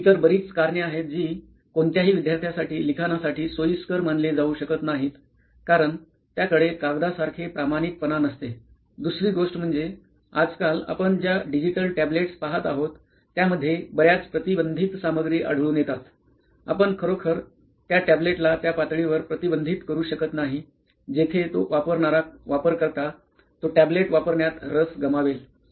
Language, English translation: Marathi, And there are lot of other reasons why this cannot be considered to be are preferable writing medium for any student because first of all it does not have a fidelity like a paper, second thing is that the digital tablets that we see around nowadays so they have many unrestricted contents, you really cannot restrict a tablet to that level where the user the who is using that will lose the interest of using that tablet